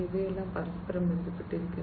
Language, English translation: Malayalam, So, these are also interconnected